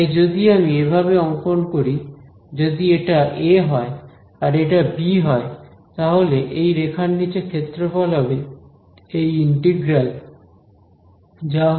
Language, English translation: Bengali, So, if I draw it like this, if this is say a and this is say b over here then the area under this curve is what is the integral of a to b f x dx ok